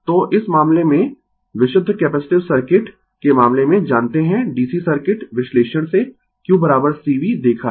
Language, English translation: Hindi, So, in this case, in the case of purely capacitive circuit; we know q is equal to C V from DC circuit analysis we have seen